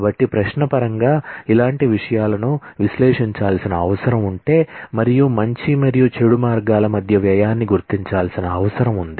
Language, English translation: Telugu, So, if the similar things in terms of a query need to be evaluated and the cost between good and bad ways need to be figured out